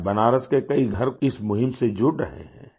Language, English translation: Hindi, Today many homes inBenaras are joining this campaign